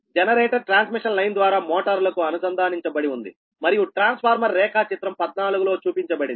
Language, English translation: Telugu, the generator is connected to the motors right through a transmission line and transformer as shown in figure